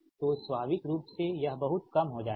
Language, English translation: Hindi, so naturally this much will be reduce